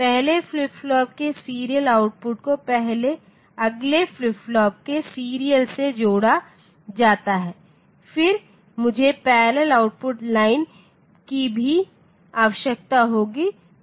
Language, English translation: Hindi, So, this is the serial output of the first flip flop connected to the serial in of the next flip flop, then the I will need the parallel output line as well